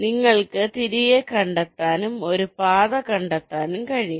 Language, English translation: Malayalam, you can trace back and find a path